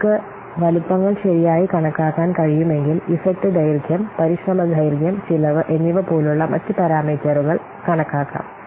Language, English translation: Malayalam, If you can estimate properly the size, then you can estimate the other parameters such as effect duration, effort, duration and cost